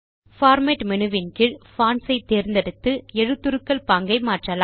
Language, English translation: Tamil, We can change the font style by choosing Fonts under the Format menu